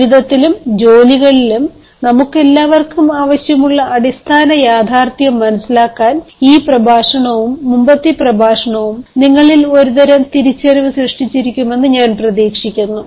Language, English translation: Malayalam, i do hope this lecture and the previous lecture could have generated in you a sort of consciousness to understand the dire of the basic reality that all of us required, both in life as well as in jobs